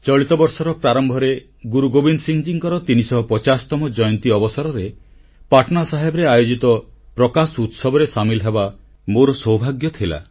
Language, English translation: Odia, I'm fortunate that at the beginning of this year, I got an opportunity to participate in the 350th birth anniversary celebration organized at Patna Sahib